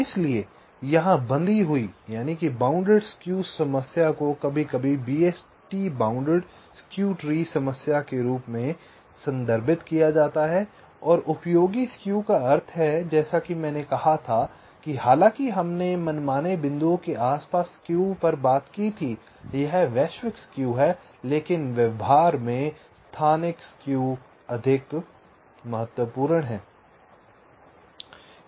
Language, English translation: Hindi, fine, so here the problem with bounded skew is sometimes referred to as bst bounded skew, tree problem, and useful skew means, as i had said, that although we talked about skew across arbitrary points, it is the global skew, but in practice, local skews is more important